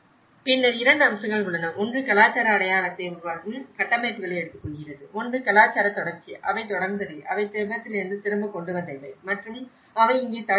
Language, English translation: Tamil, And then there are 2 aspects; one is taking the structures that create cultural identity and one is the cultural continuity, what they have continued, what they have brought back from Tibet and what they have adapted here